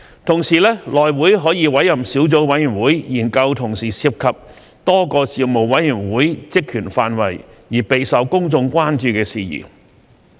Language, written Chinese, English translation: Cantonese, 同時，內會可委任小組委員會，研究同時涉及多個事務委員會職權範圍而備受公眾關注的事宜。, In the meantime HC may appoint a subcommittee to study an issue of public concern which straddles the purview of a number of Panels